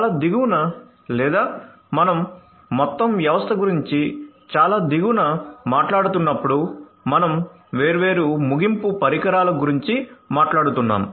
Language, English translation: Telugu, So, at the very bottom or let us say that at you know when we are talking about the system as a whole at the very bottom we are talking about different end devices; different end devices